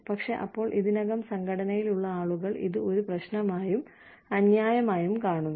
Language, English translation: Malayalam, But, then people see, people who are already in the organization, see this as a problem, and unfair